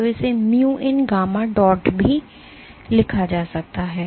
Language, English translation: Hindi, So, this can also be written as mu into gamma dot